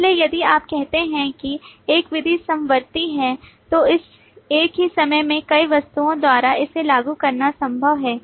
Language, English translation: Hindi, So if you say that a method is concurrent, then it is possible to invoke it by multiple objects at the same time